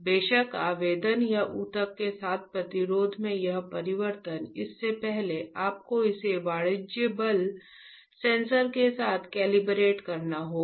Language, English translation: Hindi, Of course this change in the resistance with applying or the tissue before that you have to calibrate it with the commercial force sensor